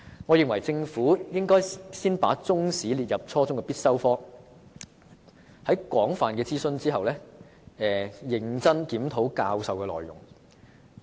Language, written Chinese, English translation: Cantonese, 我認為政府應先把中史列為初中必修科，並在廣泛諮詢後，認真檢討教學內容。, In my opinion the Government should first of all make Chinese History a compulsory subject at junior secondary level and then conscientiously review the teaching contents after extensive consultation